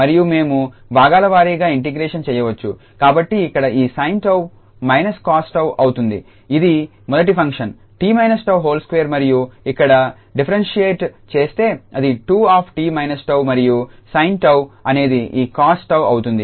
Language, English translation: Telugu, And we can do the integration by parts, so here this sin tau will be minus cos tau the second this first function as it is , t minus tau whole square and here it will be differentiated 2 times t minus tau and then this cos tau for the sin tau